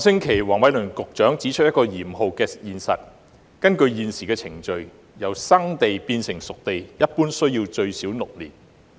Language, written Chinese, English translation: Cantonese, 黃偉綸局長上星期指出了一個嚴酷的現實，就是根據現行程序，由"生地"變成"熟地"一般需時最少6年。, Secretary Michael WONG highlighted the harsh reality last week . According to the existing procedures it generally takes at least six years to transform primitive land into space - ready sites